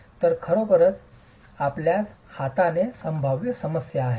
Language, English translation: Marathi, So, you actually have a potential problem on hand